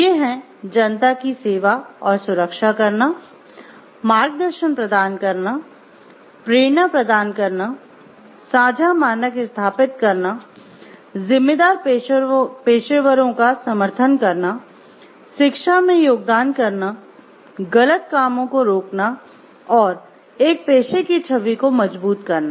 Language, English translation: Hindi, providing guidance, offering inspiration, establishing shared standards, supporting responsible professionals, contributing to education, deterring wrong doing and strengthening a professions image